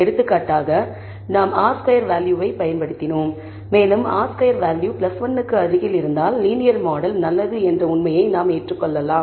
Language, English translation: Tamil, For example, we can use the r squared value, and if we find that the r squared value is close to plus 1, we can maybe accept the fact that the linear model is good